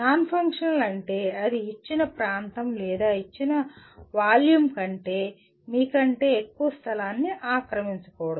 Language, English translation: Telugu, Non functional means it should not occupy more space than you do, than given area or given volume